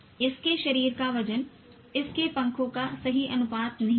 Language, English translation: Hindi, Its body weight is not the right proportion to its wingspan